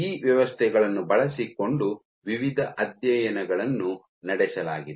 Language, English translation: Kannada, So, using these systems variety of studies have been performed